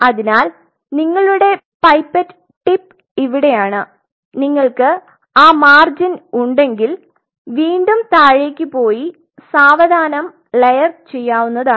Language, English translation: Malayalam, So, this is where your pipette tip is you can further go down actually if you have that margin and slowly you layer it